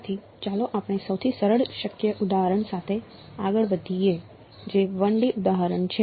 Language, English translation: Gujarati, So, let us proceed with the simplest possible example which is a 1 D example